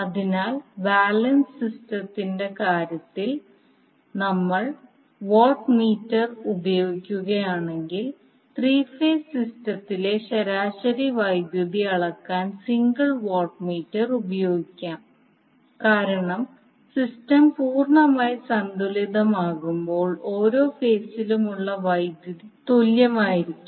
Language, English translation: Malayalam, So if we use the watt meter in case of balance system single watt meter can be used to measure the average power in three phase system because when we have the system completely balanced the power in each phase will be equal